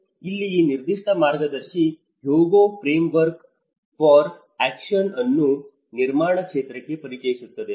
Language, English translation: Kannada, Here, this particular guide brings the Hyogo Framework for Action and built environment practice